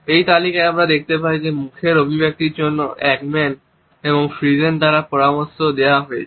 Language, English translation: Bengali, In this list we find that there are cues for facial expressions as suggested by Ekman and Friesen